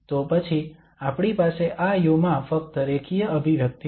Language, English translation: Gujarati, So then we have only the linear expression in this u